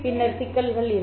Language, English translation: Tamil, Then there will be problem, right